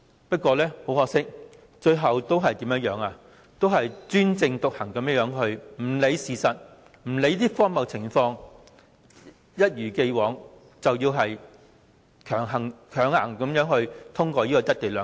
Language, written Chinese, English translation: Cantonese, 不過，很可惜，政府最後仍專政獨行，不理會事實和情況是如何的荒謬，一如既往，要強行通過"一地兩檢"。, However it is unfortunate that the Government maintains its autocracy acts arbitrary and tries to forcibly pass the co - location arrangement by ignoring the facts and the absurdity